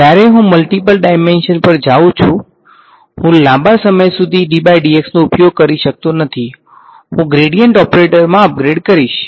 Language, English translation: Gujarati, When I go to multiple dimensions, I can no longer use a d by dx; I will upgrade to a gradient operator right